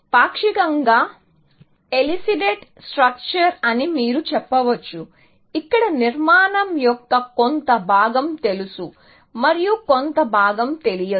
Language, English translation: Telugu, So, a partially elicited structure where, part of the structure is known, and part is not known